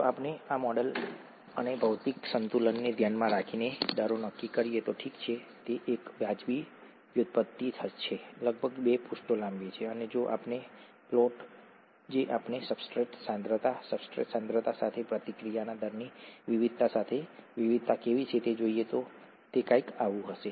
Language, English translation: Gujarati, If we work out the rates by using this model and material balance considerations, okay, it’s a reasonable derivation, about two pages long and if we if we look at how the variation is with the substrate concentration, variation of the rate of the reaction with substrate concentration, it will be something like this